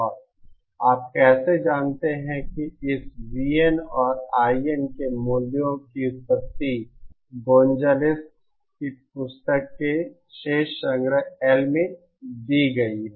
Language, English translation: Hindi, And how you know the derivation of the values of this VN and IN is given in appendix L of the book by Gonzales